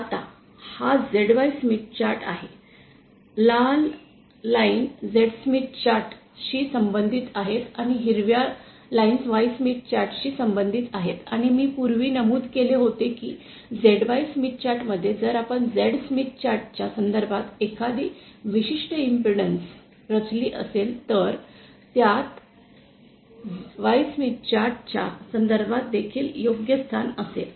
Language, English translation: Marathi, Now this is the ZY Smith chart, the red lines belong to the Z Smith chart and green lines belong to the Y Smith chart and I had mentioned earlier that in a ZY Smith chart, if you plot a particular impedance with respect to the Z Smith chart, then it will also be the correct position with respect to the Y Smith chart